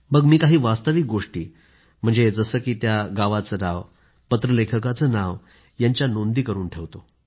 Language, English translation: Marathi, Then, I note down facts like the name of the village and of the person